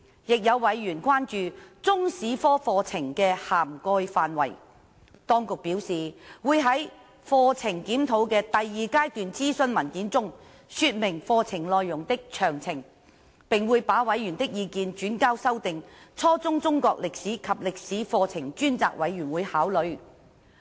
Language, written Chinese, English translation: Cantonese, 亦有委員關注中史科課程的涵蓋範圍，政府當局表示會在課程檢討的第二階段諮詢文件中說明課程內容的詳情，並會把委員的意見轉交修訂初中中國歷史及歷史課程專責委員會考慮。, Some members also expressed concern over the coverage of the Chinese history curriculum . The Administration said that it would present the curriculum details in the document of the second - stage consultation and forward members views to the Ad Hoc Committee on Revision of the Curricula of Chinese History and History at Junior Secondary Level for consideration